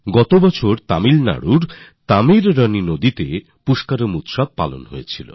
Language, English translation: Bengali, Last year the Pushkaram was held on the TaamirabaraNi river in Tamil Nadu